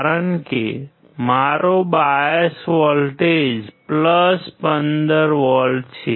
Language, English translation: Gujarati, Because my bias voltage is + 15V